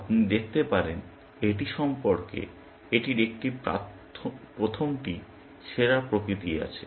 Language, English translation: Bengali, You can see, it has a best first nature about it